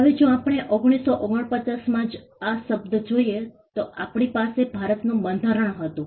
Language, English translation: Gujarati, Now if we look at the term itself in 1949, we had the Constitution of India